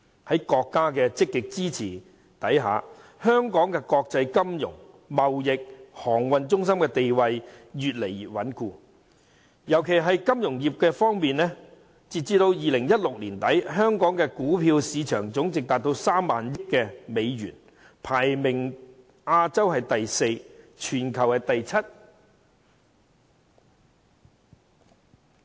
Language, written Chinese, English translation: Cantonese, 在國家積極支持下，香港的國際金融、貿易和航運中心地位越來越穩固，特別在金融業方面，截止2016年年底，香港的股票市場總值高達3萬億美元，亞洲排名第四位，全球排名第七位。, With active support given by the country Hong Kongs position as an international financial trade and shipping centre has become more stable . It is particularly true for financial services . As at the end of 2016 the Stock Exchange of Hong Kong had a staggering market capitalization of US3 trillion putting us the fourth in Asia and the seventh in the world